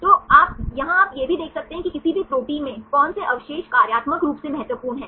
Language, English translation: Hindi, So, here also you can see which residues are functionally important in any given protein